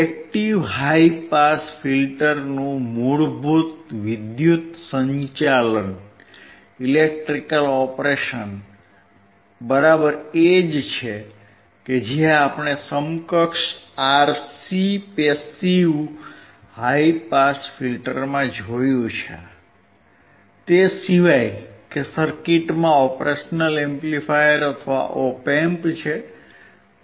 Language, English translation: Gujarati, The basic electrical operation of an active high pass filter is exactly the same as we saw in the equivalent RC passive high pass filter, except that the circuit has a operational amplifier or op amp